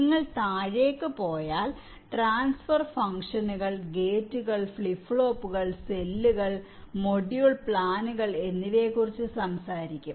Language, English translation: Malayalam, if you go down, you talk about transfer functions, gates and flip flops, cells and module plans